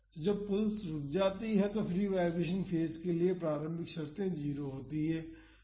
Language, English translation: Hindi, So, that is when the pulse stops, so, the initial conditions for the free vibration phase is 0